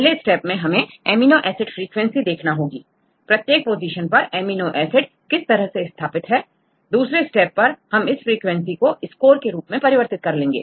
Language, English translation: Hindi, First step we need to get the amino acid frequencies; each position how far each amino acid residue prefers at a particular position, and then the second parts we convert this frequencies into score